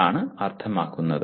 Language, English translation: Malayalam, That is what it means